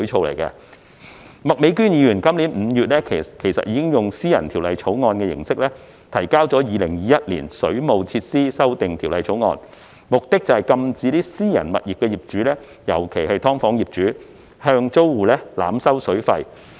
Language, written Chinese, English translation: Cantonese, 麥美娟議員今年5月以私人條例草案形式提交《2021年水務設施條例草案》，目的是禁止私人物業的業主，尤其是"劏房"業主向租戶濫收水費。, Ms Alice MAK introduced the Waterworks Amendment Bill 2021 in the form of a private bill in May this year with the purpose of prohibiting landlords of private properties especially landlords of SDUs from overcharging tenants for water